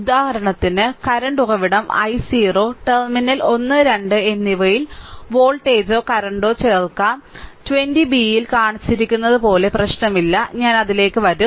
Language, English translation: Malayalam, For example, a current source also i 0 can be inserted at terminal 1 and 2 either voltage or current; it does not matter as shown in 20 b, I will come to that